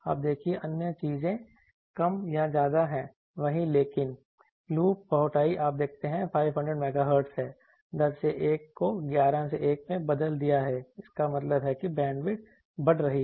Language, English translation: Hindi, You see other things are more or less same, but loop bowtie you see 500 Megahertz is 10 is to 1 has been changed to 11 is to 1 that means, the bandwidth is increasing